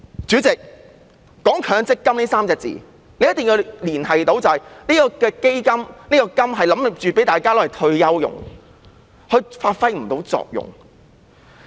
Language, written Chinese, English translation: Cantonese, 主席，"強積金"這3個字的重點是"金"字，即向退休人士提供金額，但實際情況是，強積金發揮不到作用。, President the focus of the Mandatory Provident Fund is on the word Fund ie . the amount payable to retirees . However the MPF System is in fact ineffective